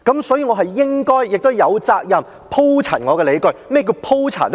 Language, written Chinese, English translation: Cantonese, 所以，我是應該亦有責任鋪陳我的理據，而何謂鋪陳呢？, For that reason I am duty - bound to elaborate on my arguments and what does elaboration mean?